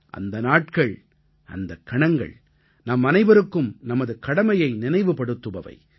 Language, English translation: Tamil, That day, that moment, instills in us all a sense of duty